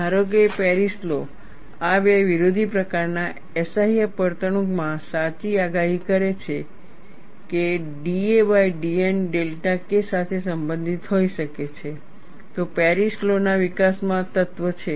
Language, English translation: Gujarati, Suppose, Paris law correctly predicts, in these two opposing type of SIF behavior, that d a by d N could be related to delta K, then there is substance in the development of Paris law